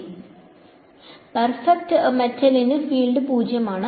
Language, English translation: Malayalam, So, perfect metal will have tangential E field is 0 right